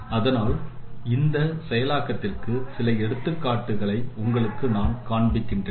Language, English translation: Tamil, So some of the examples of this processing let me show you